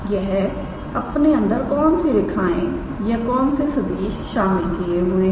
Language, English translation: Hindi, What are the lines it contains or what are the vectors it contains